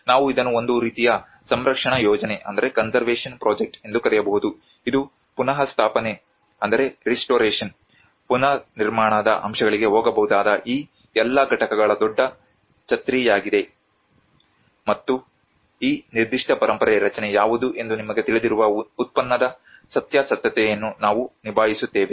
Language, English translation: Kannada, We can call it as a kind of conservation project which is a bigger umbrella of all these components which can go into restoration, the reconstruction aspects and that is where we deal with the authenticity of the product you know what this particular heritage structure belongs to